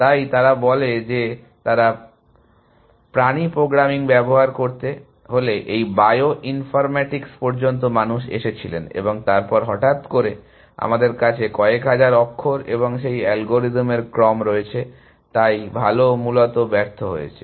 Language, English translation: Bengali, So, they say they if to use the animal programming, till this bio informatics people came in and then suddenly, we have sequences of hundreds of thousands of characters and those algorithms, so good is essentially failed essentially